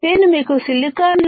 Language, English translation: Telugu, I have shown you types of silicon